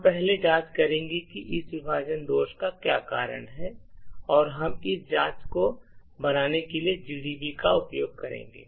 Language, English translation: Hindi, We will first investigate what causes this segmentation fault and as we have seen before we would use GDB to make this investigation